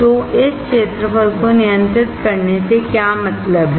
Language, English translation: Hindi, So, what does that mean by controlling the area